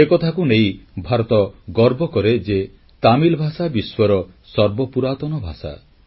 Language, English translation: Odia, India takes great pride in the fact that Tamil is the most ancient of world languages